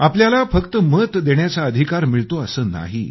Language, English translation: Marathi, And it's not just about you acquiring the right to Vote